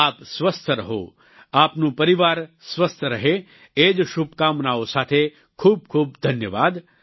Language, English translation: Gujarati, You stay healthy, your family stays healthy, with these wishes, I thank you all